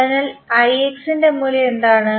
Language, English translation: Malayalam, So, for I X what is the value